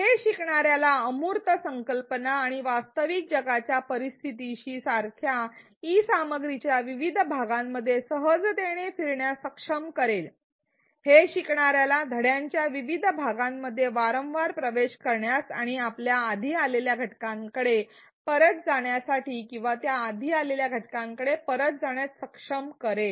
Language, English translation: Marathi, This will enable the learner to readily move between various parts of the e content such as between the abstract concepts and the real world scenario it will enable the learner to come back to repeatedly access various parts of the module and return to various elements to the previous elements that he or she has encountered before